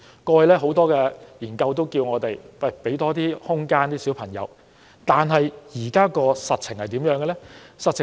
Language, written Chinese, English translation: Cantonese, 過去，很多研究也指出我們要給孩子更多空間，但現在的實情為何？, Many past studies have found that we need to give children more room . But what about the actual situation now?